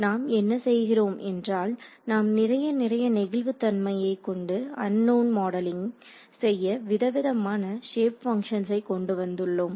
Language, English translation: Tamil, So, what we are doing is, we are bringing in more and more flexibility into modeling the unknown by having these kinds of shape functions over here